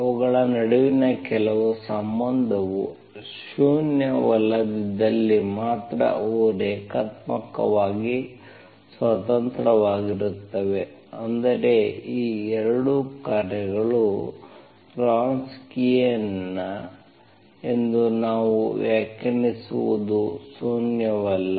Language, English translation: Kannada, They will be linearly independent if and only if certain relation between them should be nonzero, that is, that is what we define as the Wronskian, Wronskian of those 2 functions should be nonzero